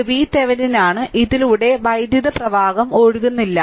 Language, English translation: Malayalam, So, it is V Thevenin and it no current is flowing through this